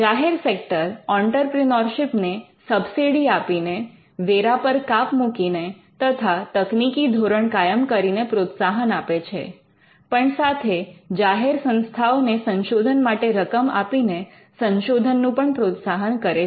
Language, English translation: Gujarati, The public sector incentivizes entrepreneurship and innovation through subsides, tax cuts and setting technical standards, but it also pushes a research in publicly funded institutions by giving funds for research